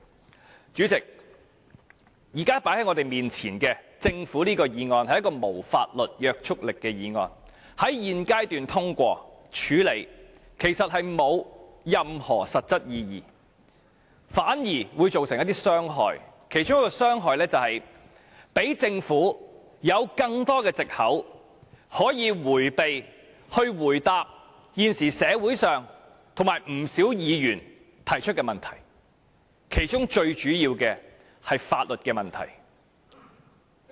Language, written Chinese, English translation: Cantonese, 代理主席，現時放在我們眼前的這項政府議案，是一項無法律約束力的議案，在現階段處理和通過，其實並無任何實質意義，反倒會造成一些傷害，其中一項傷害是讓政府有更多藉口，迴避回答現時社會人士及不少議員提出的問題，當中最主要的是法律問題。, Deputy President now this Government motion tabled before us is a non - binding motion . In fact dealing with and passing it at this stage does not carry any substantive meaning . On the contrary it will cause certain harms one of which is giving the Government more excuses to evade answering questions raised by the public and many Members now